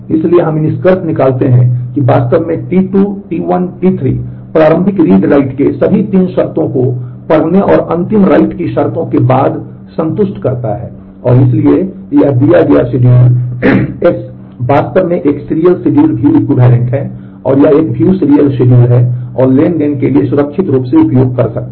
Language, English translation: Hindi, So, we conclude that indeed T 2 T 1 T 3 satisfies all the 3 conditions of initial read write after read and the final write conditions and therefore, this given schedule S is actually view equivalent to a serial schedule and, it is a view serial schedule and can be used safely for the transaction